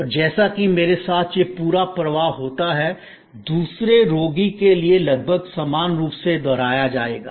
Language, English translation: Hindi, And this whole flow as it happen to me will be almost identically repeated for another patient